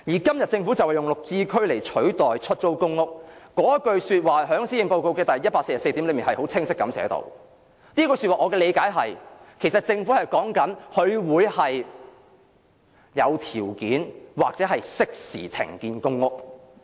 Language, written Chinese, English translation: Cantonese, 今日政府利用"綠置居"來取代出租公屋，政府在施政報告第144段已清晰寫明這句說話，我的理解是，政府是指會有條件或適時停建公屋。, Today the Government uses the Green Form Subsidised Home Ownership Scheme to replace public rental housing and the Government has explicitly written down such words in paragraph 144 of the Policy Address . According to my understanding the Government means that when the condition or time is right it will stop building public housing